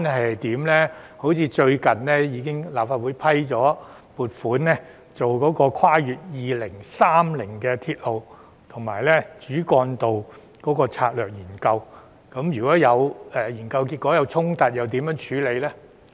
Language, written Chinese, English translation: Cantonese, 例如，立法會最近已批出撥款，進行《跨越2030年的鐵路及主要幹道策略性研究》，如果研究結果有衝突，又如何處理呢？, For example the Legislative Council has recently approved the funding for conducting the Strategic Studies on Railway and Major Roads beyond 2030 . How should we deal with the conflicting findings if any of these studies?